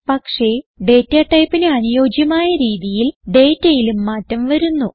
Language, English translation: Malayalam, But to suit the data type, the data has been changed accordingly